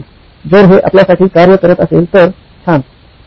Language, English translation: Marathi, If it works for you, fine, good